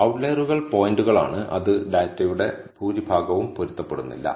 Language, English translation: Malayalam, So, outliers are points, which do not con form to the bulk of the data